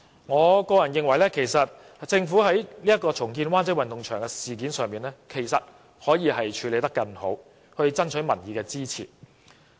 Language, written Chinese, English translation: Cantonese, 我個人認為，政府在重建灣仔運動場一事上其實可以處理得更好，以爭取民意支持。, Personally I think the Government could have handled the redevelopment of WCSG in a much better way to win public support